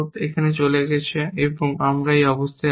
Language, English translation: Bengali, This is gone and then, we have this condition